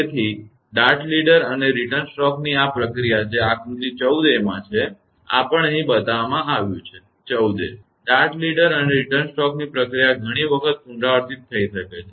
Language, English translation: Gujarati, So this process of dart leader and return stroke that is figure 14 a; this is also shown here also; 14 a, the process of dart leader and return stroke can be repeated several times